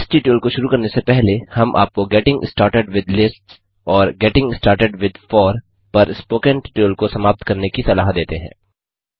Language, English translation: Hindi, Before beginning this tutorial,we would suggest you to complete the tutorial on Getting started with Lists and Getting started with For